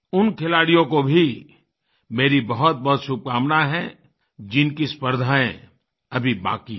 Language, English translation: Hindi, I extend my best wishes to thoseplayers who are yet to compete